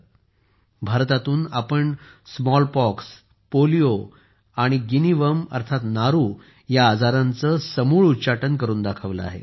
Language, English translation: Marathi, We have eradicated diseases like Smallpox, Polio and 'Guinea Worm' from India